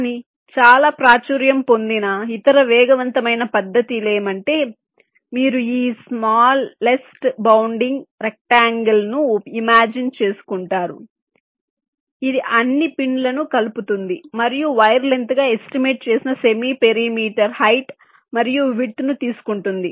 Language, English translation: Telugu, but the other very fast method which is quite popular, is that you imagine this smallest bounding rectangle that encloses all the pins and take the semi parameter height plus width